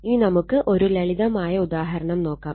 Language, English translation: Malayalam, Now, we will take a simple example right